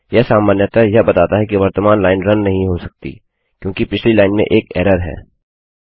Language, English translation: Hindi, It usually says the current line cant be run may be because of an error on previous line